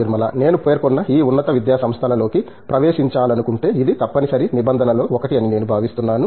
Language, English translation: Telugu, I think it is one of the mandatory norms, if you want to get into these institutes of higher learning I mentioned